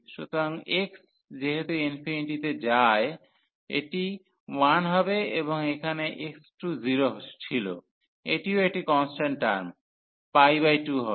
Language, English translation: Bengali, So, as x approaches to infinity this will be 1 and here was x approaches to infinity, this will be also a constant term pi by 2